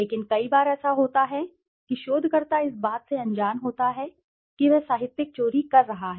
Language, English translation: Hindi, But many a times it so happens that the researcher is unaware that he is conducting plagiarism